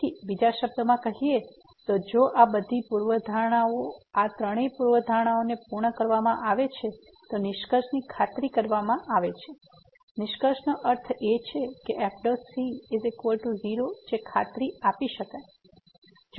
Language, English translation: Gujarati, So, in other words if all these hypothesis these three hypotheses are met then the conclusion is guaranteed; conclusion means the prime is that is guaranteed